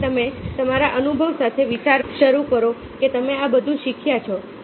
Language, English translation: Gujarati, so you start thinking along your experience, what you have learned around all that